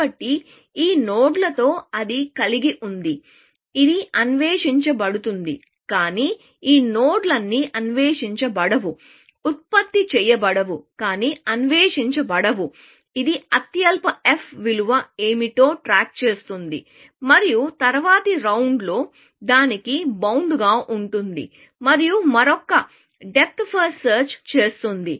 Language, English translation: Telugu, So, with all these nodes, which it has; this is explored; this is explored, but all these nodes, which is not explored, generated but not explored; it keeps track of a what is the lowest f value and increments the bound to that in the next round, and does another depth first search